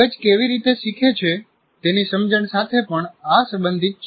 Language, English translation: Gujarati, This is also related to understanding how brains learn